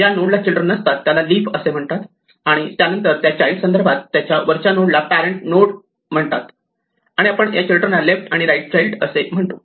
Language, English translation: Marathi, A node which has no children is called a leaf and then with respect to a child we call the parent node, the node above it and we refer to the children as the left child and the right child